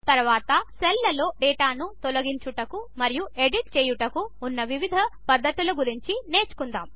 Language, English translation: Telugu, Next we will learn about different ways in which we can delete and edit data in the cells